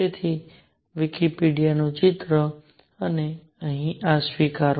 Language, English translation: Gujarati, So, picture from Wikipedia and acknowledge this here